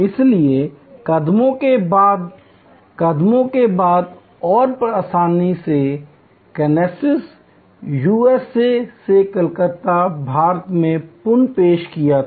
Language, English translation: Hindi, So, steps after steps, after steps and easily reproduced from Kansas USA to Calcutta India